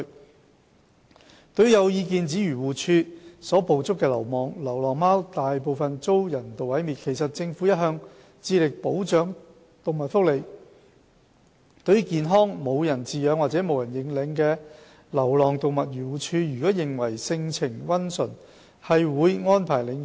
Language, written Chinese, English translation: Cantonese, 二對於有意見指漁農自然護理署所捕捉的流浪貓大部分均遭人道毀滅，其實政府一向致力保障動物福利，對於健康而無人飼養或無人認領的流浪動物，漁護署如認為其性情溫馴，便會安排領養。, 2 There are views that most stray cats caught by the Agriculture Fisheries and Conservation Department AFCD are euthanized . In fact the Government is committed to safeguarding animal welfare . For stray animals without owners or left unclaimed but are healthy and considered by AFCD to have a gentle temperament re - homing will be arranged for them